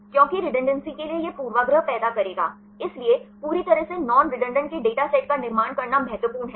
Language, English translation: Hindi, Because for the redundancy this will cause a bias, so it is important to construct a data set of completely non redundant